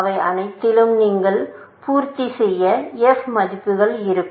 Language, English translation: Tamil, All of them will have their f values that you would have completed